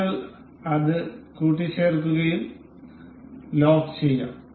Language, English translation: Malayalam, And we will mate it up, and we will lock it